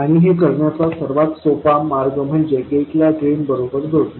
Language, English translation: Marathi, And the easiest way to do that is to connect the gate to the drain